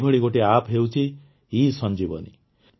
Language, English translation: Odia, There is one such App, ESanjeevani